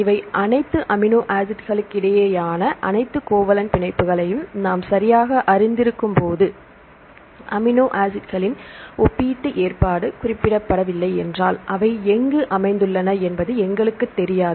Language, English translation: Tamil, So, when we know the all the covalent bonds between all the amino acids right, then if you the relative arrangement of this amino acids are not specified, we do not know where they are located